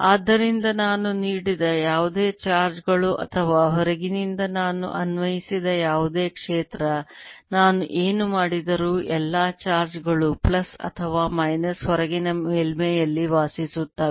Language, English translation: Kannada, so whatever charges i gave or whatever field i applied from outside, no matter what i did, all the charges plus or minus decide on the outer surface